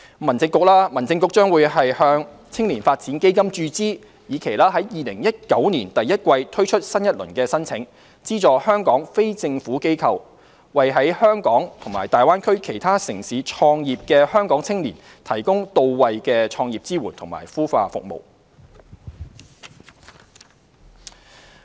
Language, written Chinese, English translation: Cantonese, 民政局將向"青年發展基金"注資，以期在2019年第一季推出新一輪申請，資助香港非政府機構為在香港與大灣區其他城市創業的香港青年提供到位的創業支援及孵化服務。, The Home Affairs Bureau will make an injection into the Youth Development Fund so that new applications can be made in the first quarter of 2019 . NGOs in Hong Kong will receive subsidies to provide Hong Kong young people who start their business in Hong Kong and other cities of the Greater Bay Area with start - up support and incubation services